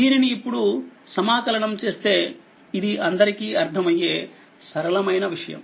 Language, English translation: Telugu, Now, if you integrate if you this is understandable simple thing